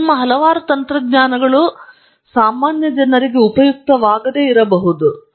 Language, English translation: Kannada, Now a lot of your technologies may not be useful